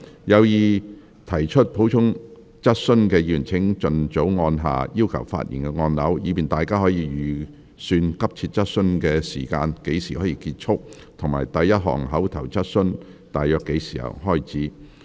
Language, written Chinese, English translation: Cantonese, 有意提出補充質詢的議員請盡早按下"要求發言"按鈕，以便大家可預算急切質詢大約何時結束，以及第一項口頭質詢大約何時開始。, Members who wish to ask supplementary questions please press the Request to speak button as early as possible so that we can estimate when the urgent questions will end and the first oral question will start